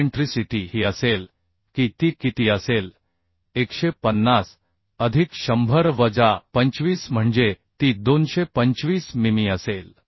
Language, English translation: Marathi, So now we can find out the eccentricity eccentricity will be how much it will be 150 plus 100 minus 25 that means it will be 225mm right